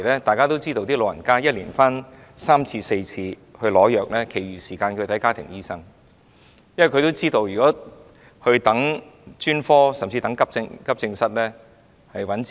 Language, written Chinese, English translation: Cantonese, 大家都知道，長者一年回來取三四次藥，其餘時間都是看家庭醫生的，因為他們知道，如果輪候專科服務，甚至到急症室候診的話，是愚弄自己。, As we are aware the elderly usually go to hospitals three to four times a year for getting prescription drugs . For the rest of the time they will consult their family doctors when necessary because they know that if they wait for specialist services or even services of accident and emergency departments they are making a fool of themselves